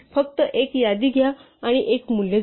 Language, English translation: Marathi, Just take a list and add a value